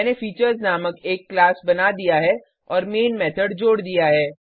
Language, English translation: Hindi, I have created a class named Features and added the main method